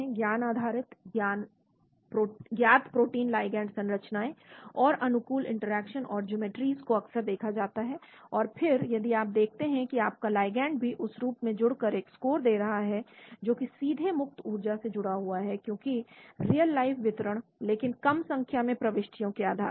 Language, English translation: Hindi, Knowledge based, observe known protein ligand structures and favor interactions and geometries that are seen often , and then if you see your ligand also bind in that form give a score , directly linked to free energy because real life distribution, but based on small number of entries